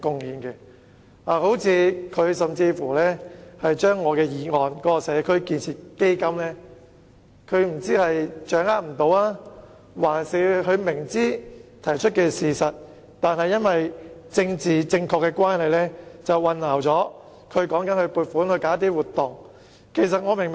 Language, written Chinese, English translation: Cantonese, 關於我在議案中提出設立"社區建設基金"的建議，我不知他是掌握不到，還是雖然明知我說的是事實，但基於要政治正確，竟將基金與撥款舉辦活動混為一談。, As regards the proposal for the establishment of a community building fund as mentioned by me in the motion I wonder if he has failed to understand my proposal or though he knows very well that it is truthful he has intentionally mixed up the fund with the allocation of funds for organizing activities in order to be politically correct